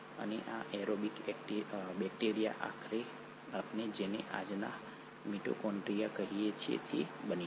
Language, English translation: Gujarati, And this aerobic bacteria eventually ended up becoming what we call today’s mitochondria